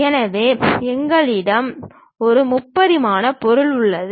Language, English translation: Tamil, So, we have a three dimensional object here